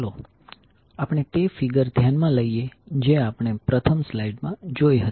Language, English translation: Gujarati, Let us consider the figure which we saw in the first slide